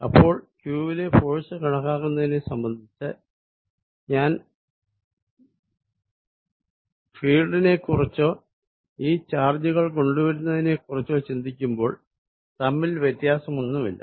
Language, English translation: Malayalam, Now, as far as calculating force on q is concerned, whether I think in terms of fields or I think in terms of when this charges are brought to whether there is a force, it does not make a difference